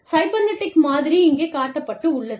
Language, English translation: Tamil, The cybernetic model, has been shown here